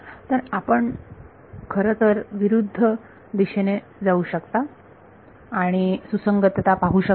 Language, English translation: Marathi, So, you can in fact, go in the reverse direction and ask consistency